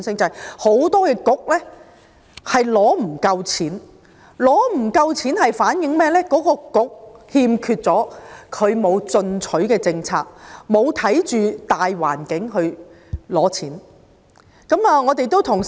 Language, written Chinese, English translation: Cantonese, 因為很多政策局沒有足夠撥款，反映有關政策局欠缺進取的政策，沒有因應大環境來申領撥款。, It is because many Policy Bureaux do not have adequate allocations . This shows that they have not proactively proposed policies and failed to apply for funding based on the overall situation